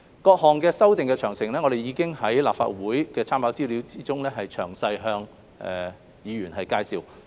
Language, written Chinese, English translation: Cantonese, 各項修訂的詳情，我們已在立法會參考資料中詳細向議員介紹。, Members have been briefed on the details of the amendments in the Legislative Council Brief